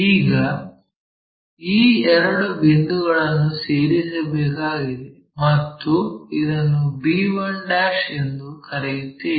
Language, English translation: Kannada, Now, join these two line a ' and let us call this one b 1 '